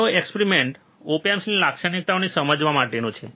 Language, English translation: Gujarati, Let us see the op amp characteristics